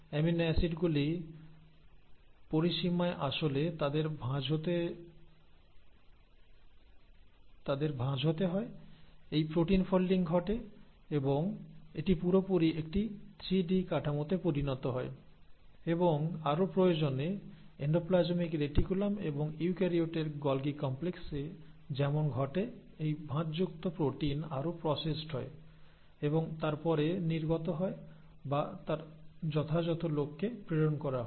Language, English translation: Bengali, So after the amino acids have joined in the range, they have to be folded, so protein folding happens and this gets completely into a 3 D structure and if further required as it happens in endoplasmic reticulum and the Golgi complex in eukaryotes this folded protein will get further processed and then secreted or sent to its appropriate target